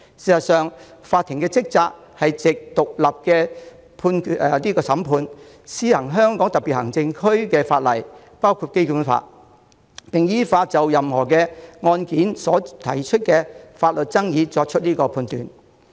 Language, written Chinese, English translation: Cantonese, 事實上，法庭的職責是藉獨立審判，施行香港特別行政區的法律，包括《基本法》，並依法就任何案件所提出的法律爭議作出裁斷。, Instead the duty of the courts is through an independent judiciary to administer the law of the HKSAR including the Basic Law and to adjudicate on the legal issues raised in any case according to the law